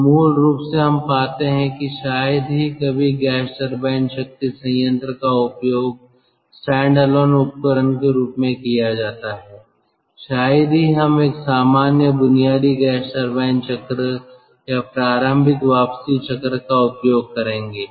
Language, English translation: Hindi, so basically then, ah, we will find that rarely when a gas turbine power plant is being utilized as a standalone device, rarely we will use a normal basic gas turbine cycle or the initial return cycle, initially the brayton cycle which we have shown we will have